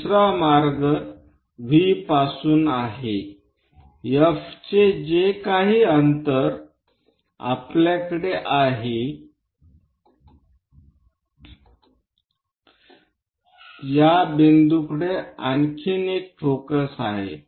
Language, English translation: Marathi, The other way is from V whatever the distance of F we have same another focus we are going to have it at this point